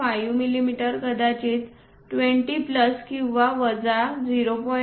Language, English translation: Marathi, 5 mm or perhaps something like 20 plus or minus 0